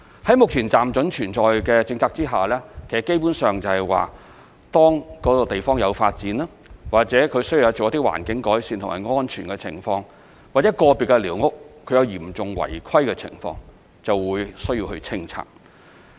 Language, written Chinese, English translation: Cantonese, 在目前"暫准存在"的政策下，基本上，當該地方有發展、或需要做一些環境改善或涉及一些安全情況、或個別寮屋有嚴重違規的情況，就會需要清拆寮屋。, Under the tolerance policy if there are new developments or some environmental improvement work is required or safety reason is involved or there are individual squatters with serious irregularities demolition will be needed